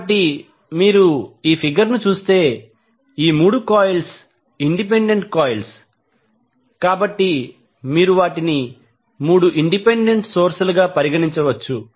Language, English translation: Telugu, So, if you see this particular figure, so, these 3 coils are independent coils, so, you can consider them as 3 independent sources